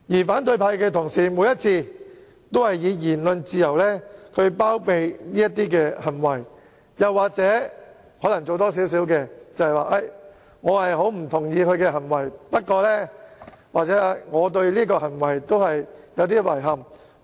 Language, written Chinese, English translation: Cantonese, 反對派同事每次都以言論自由包庇這類行為，又可能說"我不太同意他的行為"或"我對這種行為感到有點遺憾，不過......, Our colleagues of the opposition camp have used the pretext of freedom of speech on every occasion to harbour such behaviour . They may say I do not quite support such behaviour or I find such behaviour regrettable but